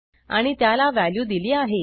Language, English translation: Marathi, And I have assigned a value to it